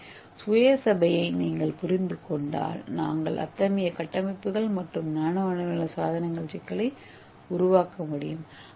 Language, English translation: Tamil, So if you understand the self assembly we can also make such kind of complex structures and nano scale devices and everything